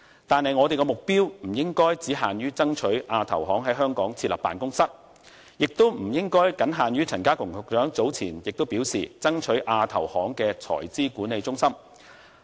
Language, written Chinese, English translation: Cantonese, 但是，我們的目標不應只限於爭取亞投行在香港設立辦公室，也不應僅限於陳家強局長早前所表示，爭取亞投行的財資管理中心落戶香港。, Nevertheless our goal should not be limited to the setting up of an AIIB office in Hong Kong . It should not be limited too to the establishment of the Treasury Management Centre of AIIB as advocated by Secretary Prof K C CHAN earlier